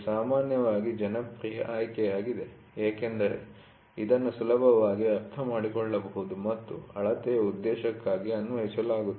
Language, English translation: Kannada, It is generally a popular choice as it is easily understood and applied for the purpose of measurement